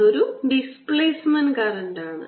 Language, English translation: Malayalam, that is a displacement current